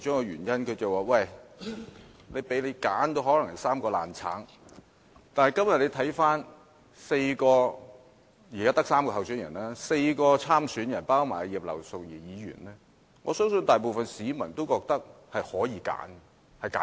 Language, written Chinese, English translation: Cantonese, 然而，今天大家看看現時的3位候選人，或之前的4位參選人，包括葉劉淑儀議員在內，我相信大部分市民也覺得是有選擇的。, However let us take a look at the three candidates today or the four persons seeking nomination including Mrs Regina IP I believe most members of the public would think they do have a choice